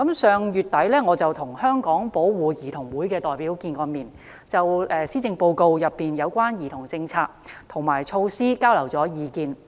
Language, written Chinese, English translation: Cantonese, 上月底，我與香港保護兒童會的代表會面，就施政報告中有關兒童政策及措施交流意見。, I met with representatives of the Hong Kong Society for the Protection of Children late last month and exchanged views with them on policies and measures relating to children contained in the Policy Address